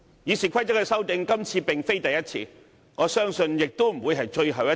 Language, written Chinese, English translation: Cantonese, 《議事規則》的修訂，今次並非第一次，我相信亦不會是最後一次。, This is not the first time we propose amendments to the Rules of Procedure and I believe this will also not be the last time for us to do so